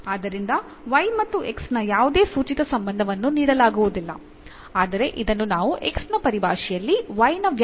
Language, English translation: Kannada, So, there is no implicit relation of y and x is given, but rather we call this as a explicit relation of y in terms of x